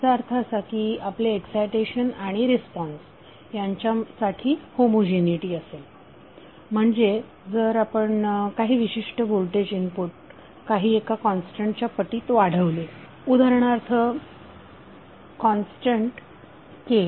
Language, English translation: Marathi, That means that your excitation and the response will have homogeneity, means if you scale up a particular voltage input by say constant K